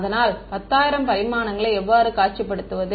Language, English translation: Tamil, So, how do I visualize 10000 dimensions